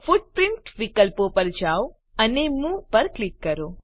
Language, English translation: Gujarati, Go to Footprint options, and click on Move